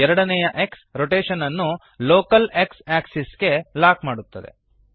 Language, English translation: Kannada, The second X locks the rotation to the local X axis